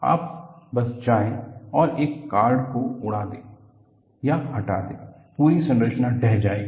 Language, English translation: Hindi, You just go and blow or remove one card, the whole structure will collapse